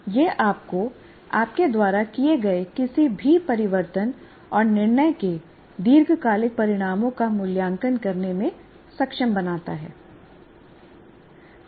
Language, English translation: Hindi, This enables you to evaluate the long term consequences of any changes and decisions that you make